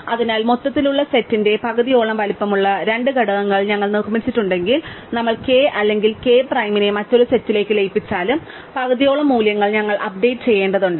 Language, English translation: Malayalam, So, if we are built up two components which are roughly half the size of the overall set, then whether we merge k or k prime into the other set, we have to update about half the values